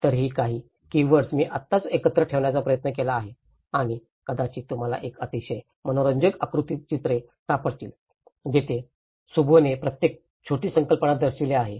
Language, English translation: Marathi, So, these are some of the keywords I just tried to put it together and you might have find a very interesting diagrammatic illustrations where Shubho have showed each of the small concept